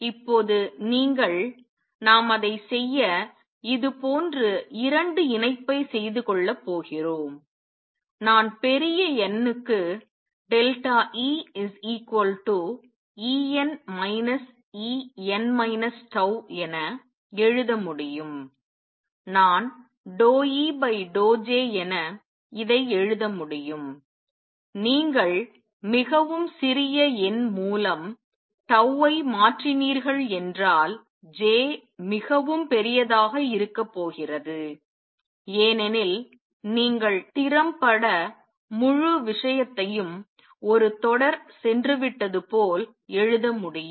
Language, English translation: Tamil, Now you are going to marry the two the way we do it is like this, I know delta E is E n minus E n minus tau which can be written for large n, I can write this as partial E over partial J delta J, because J is going to be very large if you change tau by very small number you can effectively write as if the whole thing has gone in to a continue